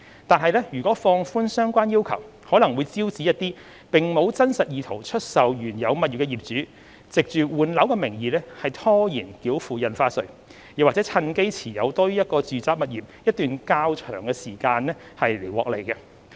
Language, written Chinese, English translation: Cantonese, 然而，如果放寬相關要求，可能會招致一些並無真實意圖出售原有物業的業主，藉換樓的名義拖延繳付印花稅，或趁機持有多於一個住宅物業一段較長時間以圖獲利。, However if the relevant requirements are relaxed it may invite some owners without genuine intention to dispose of their original properties to under the guise of property replacement defer payment of stamp duty or hold more than one residential property for a longer period with a view to making profits